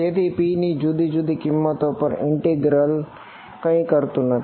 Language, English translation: Gujarati, So, this integral over different values of p does not do anything